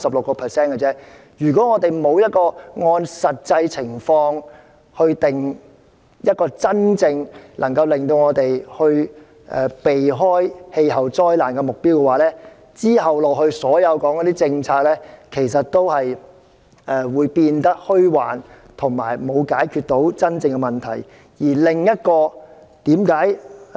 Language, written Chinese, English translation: Cantonese, 我認為，如果我們沒有按照實際情況，制訂一個真正能夠讓我們避開氣候災難的目標，那麼之後所有的政策討論也會變得虛幻，無助於真正解決問題。, In my opinion unless we set a target in the light of the actual situation that would actually save us from climate disasters all future policy discussions would be illusory and would not be conducive to really resolving the problem